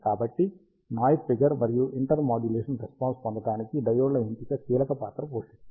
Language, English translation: Telugu, So, the diode selection plays a critical part to get the noise figure and intermodulation response